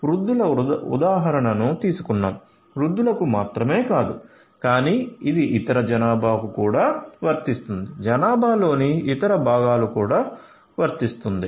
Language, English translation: Telugu, Not only elderly people, I took the example of elderly people, but this also applies for the other population as well; other parts of the population as well